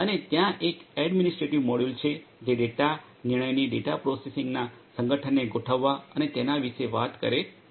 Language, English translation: Gujarati, And there is an administrative module which talks about organizing organization of the data processing of the data decision making and so on